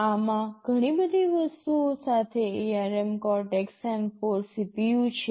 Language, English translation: Gujarati, This contains ARM Cortex M4 CPU with lot of other things